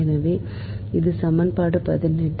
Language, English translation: Tamil, so this is equation eighteen